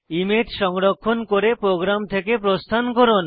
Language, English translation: Bengali, Save the image and exit the program